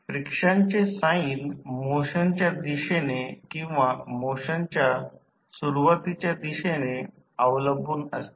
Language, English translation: Marathi, The sign of friction depends on the direction of motion or the initial direction of the velocity